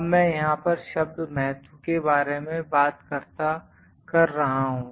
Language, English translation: Hindi, Now, I am talking about the word significant here